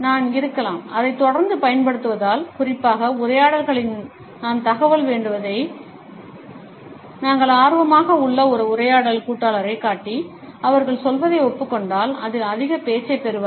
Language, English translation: Tamil, I may constant use of it especially, in conversations, I am digging for information If we show a conversation partner that we are interested and approve what they say, they tend to get more talkative